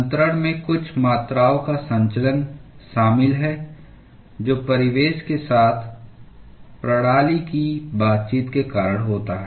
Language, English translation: Hindi, Transfer involves movement of certain quantities, due to interaction of the system with surroundings